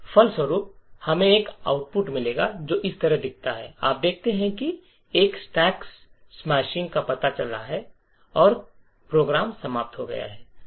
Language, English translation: Hindi, As a result, we will get an output which looks like this, you see that there is a stack smashing detected and the program is terminated